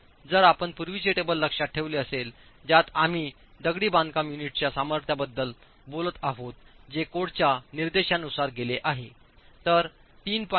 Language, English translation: Marathi, So if you remember the earlier table that we were referring to, the strength of masonry units as prescribed by the code can go all the way from 3